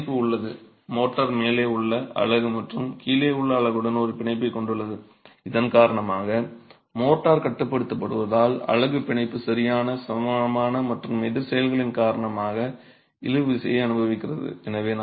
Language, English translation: Tamil, Now the bond exists, the motor has a bond with the unit above and the unit below because of which as the motor is getting confined, the unit in turn experiences tension because of the bond, equal and opposite actions